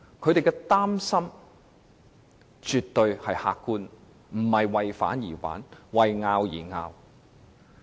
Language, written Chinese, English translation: Cantonese, 他們的擔心絕對客觀，並非為反對而反對、為爭拗而爭拗。, Their concern is absolutely objective . They are not voicing opposition for the sake of opposition and arguing for the sake of it